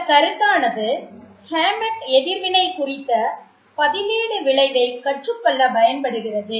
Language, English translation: Tamil, So now this concept was used for Hammett to come up with his standard reaction to study the substituent effect